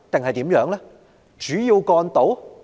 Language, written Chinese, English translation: Cantonese, 何謂主要幹道？, What is the definition of main roads?